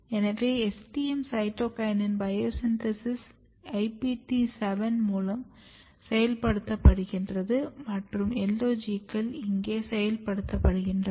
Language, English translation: Tamil, So, STM is activating cytokinin biosynthesis through IPT7 and LOGs are getting activated here